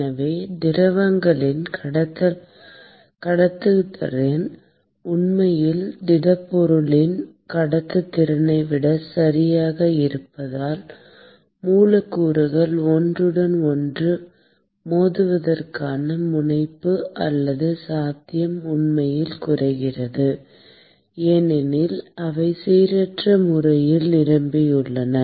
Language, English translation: Tamil, And therefore, the conductivity of the liquids is actually smaller than conductivity of the solids cause the propensity or possibility of the molecules to collide with each other actually goes down because they are more randomly packed